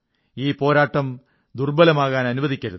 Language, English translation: Malayalam, We must not let this fight weaken